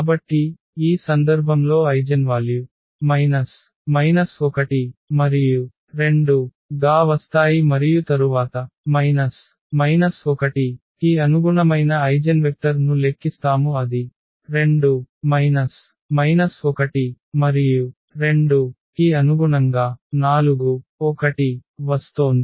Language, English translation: Telugu, So, in this case the eigenvalues are coming to be minus 1 and 2 and then we compute the eigenvectors corresponding to minus 1 it is 2 1 and corresponding to 2 it is coming as 4 1